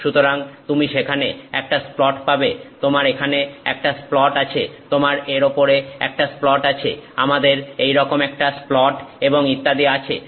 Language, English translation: Bengali, So, you have a splat there, you have a splat here, you have a splat on top of it, we have a splat like that that and so on